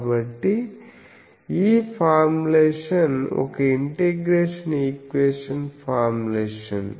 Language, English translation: Telugu, So, that is why it is an integral equation